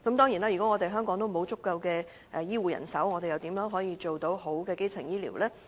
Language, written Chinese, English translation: Cantonese, 如果香港沒有足夠的醫護人手，政府又如何提供優質的基層醫療？, Without a sufficient supply of health care personnel how can the Government provide quality primary health care services?